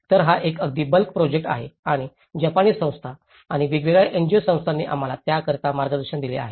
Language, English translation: Marathi, So, this is a kind of a very bulk project and the Japanese agencies and different NGOs also have given us support for that